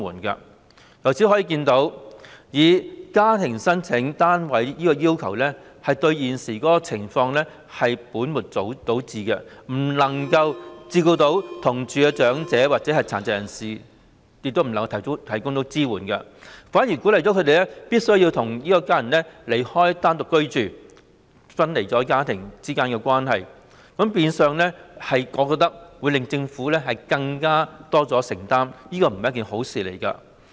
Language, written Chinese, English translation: Cantonese, 由此可見，以家庭為申請單位的要求對解決現時情況是本末倒置的做法，既不能夠照顧同住的長者或殘疾人士，也無法向他們提供支援，反而鼓勵他們離開家人單獨居住，令家庭分離，亦變相令政府須作出更多承擔，可見這並非一件好事。, It can thus be seen that the requirement of using the family as the unit of application has got the priorities wrong insofar as resolving the present situation is concerned . It can neither cater to the needs of elderly people or people with disabilities living together with their families nor provide any support to them . On the contrary they are encouraged to leave their family members and live alone thus breaking up families and effectively requiring the Government to make greater commitments